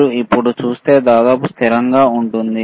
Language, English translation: Telugu, If you see now is almost constant, right